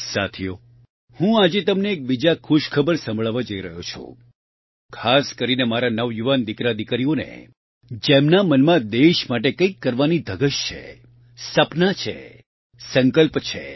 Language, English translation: Gujarati, Friends, today I am sharing with you another good news, especially to my young sons and daughters, who have the passion, dreams and resolve to do something for the country